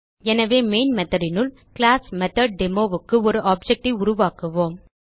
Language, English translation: Tamil, So inside the Main method, we will create an object of the classMethodDemo